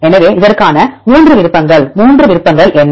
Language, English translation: Tamil, So, 3 options for this one what are 3 options